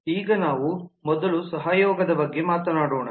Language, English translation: Kannada, now let us first talk about the collaboration